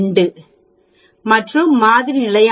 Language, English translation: Tamil, 2 and the sample standard error is 1